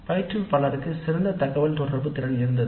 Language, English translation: Tamil, The instructor had excellent communication skills